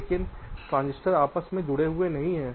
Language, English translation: Hindi, but the transistors are not interconnected